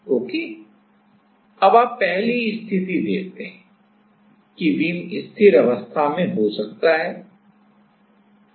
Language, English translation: Hindi, Now, you see the first condition that the beam will be beam can be in that like in the stable condition